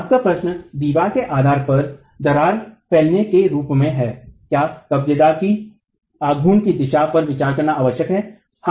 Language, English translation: Hindi, Your question is as cracking propagates at the base of the wall, is it essential to consider the direction of the movement of the hinge